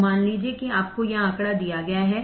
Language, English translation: Hindi, So, suppose you are given this figure